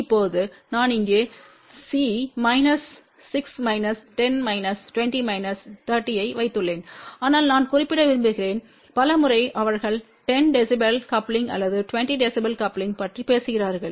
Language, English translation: Tamil, Now I have put here C minus 6 minus 10 minus 20 minus 30 , but I just want to also mention that many a times they talk about 10 db coupling or 20 db coupling